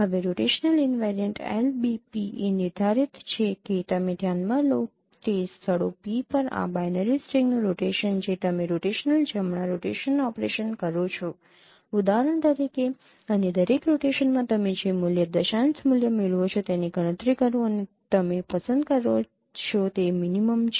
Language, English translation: Gujarati, Now the rotational invariant LVP is defined that you consider the rotation of this binary string on those locations P that you perform rotational right rotation operations for example and in every rotation you compute whatever the value decimal value you get and the minimum one you will be choosing